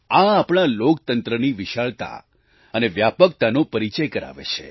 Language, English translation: Gujarati, This stands for the sheer size & spread of our Democracy